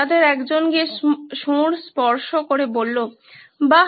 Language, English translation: Bengali, One of them went and touched the trunk and said, Woah